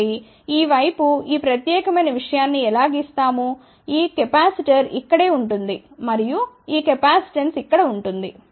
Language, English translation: Telugu, So, how do we drawn this particular thing on this side this capacitor will be over here and this capacitance will be over here